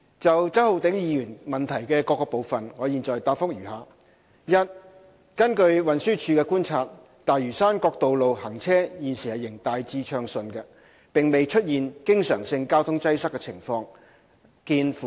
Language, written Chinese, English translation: Cantonese, 就周浩鼎議員質詢的各個部分，我現答覆如下：一根據運輸署的觀察，大嶼山各道路行車現時仍大致暢順，並未出現經常性交通擠塞的情況。, My reply to the various parts of Mr Holden CHOWs question is as follows 1 According to the observations of the Transport Department TD traffic flow on the roads on Lantau Island is currently smooth in general and traffic congestion is infrequent see Annex 2